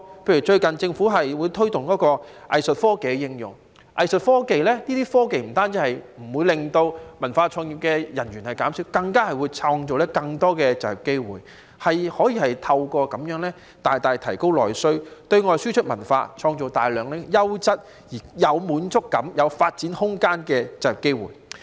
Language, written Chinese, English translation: Cantonese, 例如最近政府推動應用藝術科技，不但不會令文化創意人員減少，更能創造更多就業機會，透過應用這些科技大大提高內需，對外輸出文化，創造大量優質、有滿足感、有發展空間的就業機會。, For instance recently the Government promoted the use of Art Tech . This measure will not result in layoffs in the cultural and creative industries; but rather it will create more job opportunities . The use of Art Tech will increase internal service demands and facilitate the export of cultural contents thereby creating a large number of employment opportunities that can provide job satisfaction and career development